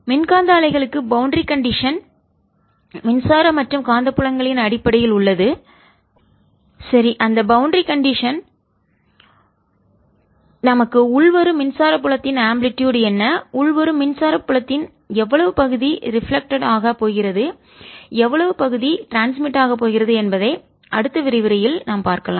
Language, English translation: Tamil, for electromagnetic waves the boundary conditions are, in terms of electric and magnetic fields, right, and those boundary conditions are going to give us what amplitude of the incoming electric field is going to, what fraction of the incoming electric field is going to be reflected, what fraction is going to be transmitted